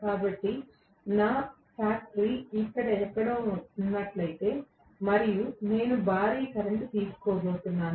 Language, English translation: Telugu, So, if my factory is located somewhere here and I am going to draw a huge current right